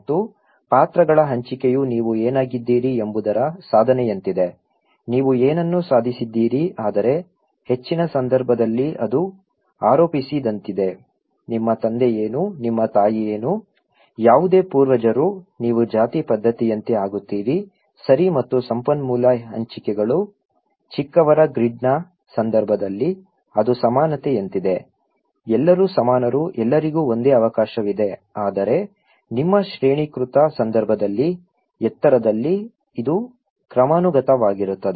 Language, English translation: Kannada, And allocation of roles is like achievement what you are; what you have achieved but in case of high, it is like ascribed, what your father was, what your mother was, whatever ancestor was, you become like caste system, okay and resource allocations; in case of low grid, it is like egalitarian, everybody is equal, everybody has the same opportunity but in case your hierarchical; in high, it is hierarchical